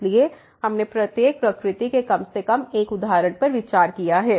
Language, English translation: Hindi, So, we have considered at least 1 example of each nature